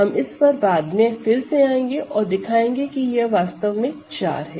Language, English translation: Hindi, We will comeback to this later and show that in fact it is 4